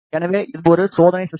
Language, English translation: Tamil, So, this is a experimental setup